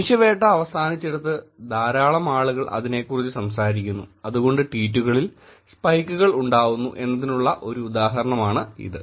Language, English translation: Malayalam, This is one example where man hunt is over, a lot of people are talking about it and therefore there is spike in the tweets that are showing up